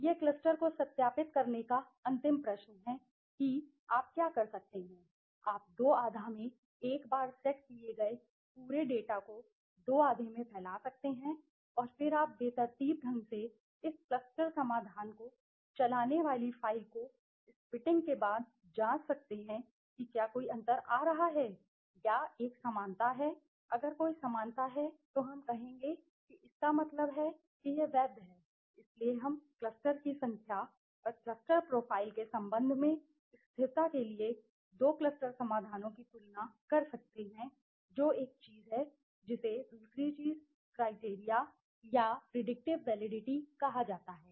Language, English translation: Hindi, This is the last question, to validate the cluster what you can do is you can spilt the entire data set into two half right so once you have two half and then you randomly after spitting the file you run this cluster solutions and check whether there is any difference coming or there is a similarity if there is a similarity then we would say that means there is it is valid okay so we can compare the two cluster solutions for consistency with respect to the number of cluster and the cluster profiles that is one thing the second thing is called the criterion or the predictive validity